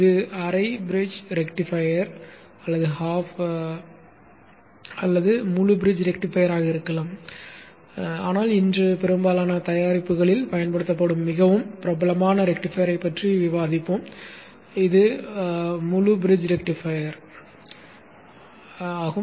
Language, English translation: Tamil, It may be a half bridge rectifier or a full bridge rectifier but we shall discuss the most popular rectifier which is used in most of the products today which is the full bridge rectifier